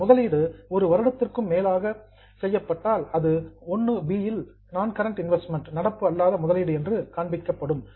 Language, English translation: Tamil, If that investment is done for more than one year, it will be shown under 1B as non current investment